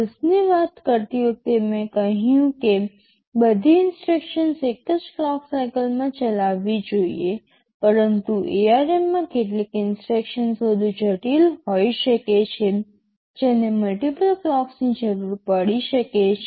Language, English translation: Gujarati, WSo, while talking of RISC, I said all instructions should be exhibited executed in a single clock cycle, but in ARM some of the instructions can be more complex, it can require multiple clocks such instructions are there